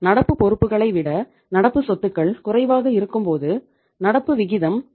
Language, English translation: Tamil, When you keep the current assets lesser than the current liabilities and the current ratio is 0